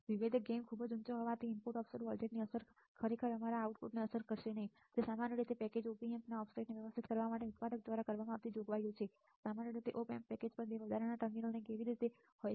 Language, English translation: Gujarati, Since the differential gain is very high the effect of the input offset voltage is not really going to affect our output they are usually provisions made by manufacturer to trim the offset of the packaged Op Amp, how usually 2 extra terminals on the Op Amp package are reserved for connecting an external trim potentiometer these connection points are labeled as offset null